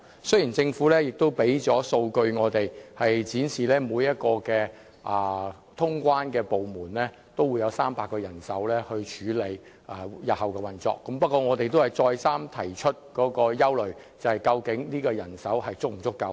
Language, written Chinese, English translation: Cantonese, 雖然政府已向我們提供數據，展示每一個通關部門也會有300名人手處理日後的運作，不過我們仍一再指出，我們憂慮人手究竟是否足夠。, While the Government already provided us with statistics showing that each immigration clearance department would be equipped with 300 staff members to handle HKPs operation in the future we pointed out over and over again our concern about the adequacy of manpower